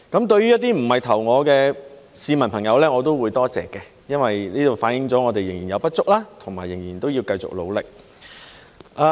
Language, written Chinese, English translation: Cantonese, 對於一些不是投票給我的市民朋友，我也會多謝，因為反映了我們仍有不足，仍要繼續努力。, For those who did not vote for me I would also like to thank them because their response has reflected the fact that we still have shortcomings and need to keep on working hard